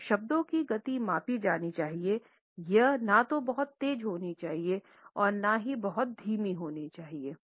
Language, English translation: Hindi, So, the speed of the words has to be measured, it should neither be too fast nor too slow